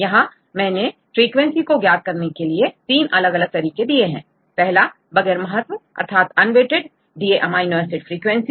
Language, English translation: Hindi, If you see the frequencies, I have listed the three different ways to get the frequencies, one is unweighted amino acid frequency